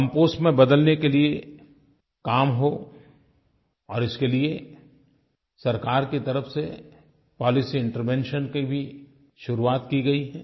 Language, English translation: Hindi, Solid waste should be processed and be converted into Compost and the government has initiated a policy intervention in this regard